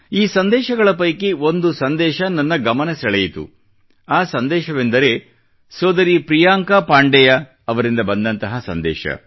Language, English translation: Kannada, One amongst these messages caught my attention this is from sister Priyanka Pandey ji